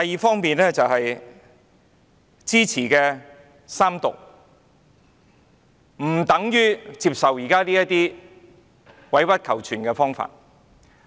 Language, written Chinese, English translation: Cantonese, 此外，我支持三讀並不等於接受現時這種委屈求全的方案。, In addition my support for the Third Reading does not imply that I accept such a proposal which stoops to compromise